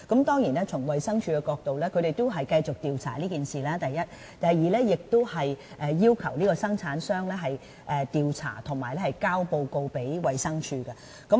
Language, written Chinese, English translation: Cantonese, 當然，從衞生署的角度，第一，它會繼續調查此事；第二，製造商須進行調查及向衞生署提交報告。, Of course from the perspective of DH firstly it will continue to investigate into the matter; and secondly the manufacturer must conduct an investigation and submit a report to DH